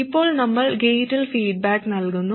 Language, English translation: Malayalam, Now we are feeding back to the gate